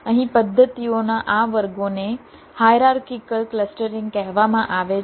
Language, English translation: Gujarati, this classes of methods are called hierarchical clustering